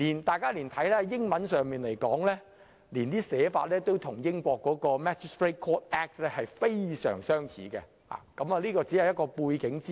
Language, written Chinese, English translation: Cantonese, 大家可以留意到英文文本亦與英國的 Magistrates' Courts Act 非常相似，而這是一些背景資料。, Members may also note the similarities between the English text and the Magistrates Courts Act of the United Kingdom and this is some background information